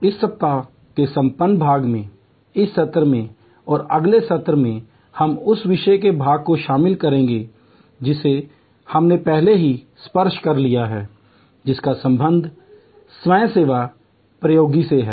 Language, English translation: Hindi, In the concluding part of this week, in this session and in the next session we will be covering part of the subject which we have already touched upon earlier, which relates to self service technology